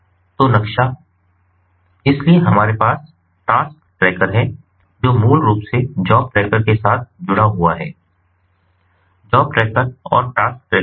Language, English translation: Hindi, the task ah, the task tracker is basically linked with the job tracker, job tracker and the task tracker